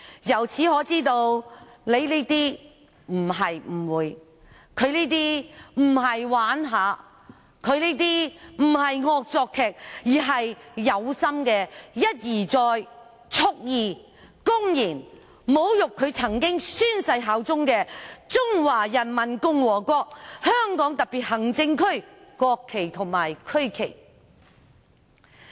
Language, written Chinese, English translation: Cantonese, 由此可知，我們並沒有誤會他的行為，他的行為並非玩鬧、惡作劇，而是故意一而再蓄意、公然侮辱他曾經宣誓效忠的中華人民共和國香港特別行政區的國旗和區旗。, It thus showed that we did not mistake his behaviour . His behaviour was not a joke or a prank but a deliberate repeated intentional and open insult to the national flag of the Peoples Republic of China and the regional flag of the Hong Kong Special Administrative Region to which he has pledged allegiance